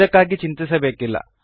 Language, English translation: Kannada, This is nothing to worry about